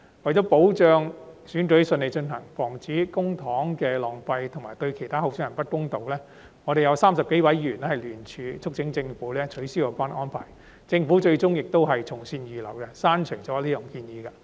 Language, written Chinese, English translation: Cantonese, 為了保障選舉順利進行、防止浪費公帑及對其他候選人不公道，我們有30多位議員聯署促請政府取消有關安排，政府最終亦從善如流，刪除這項建議。, To ensure the smooth conduct of elections avoid the waste of public funds and unfairness to other candidates more than 30 Members jointly signed a petition urging the Government to abolish this arrangement . The Government eventually accepted the suggestion and dropped this proposal